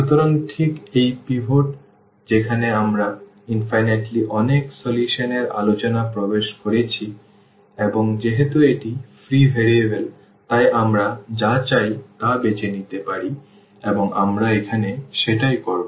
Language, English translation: Bengali, So, this is exactly the point where we are entering into the discussion of the infinitely many solutions and since this is free variable so, we can choose anything we want and that is what we will do now